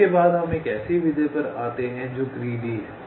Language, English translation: Hindi, next we come to a method which is greedy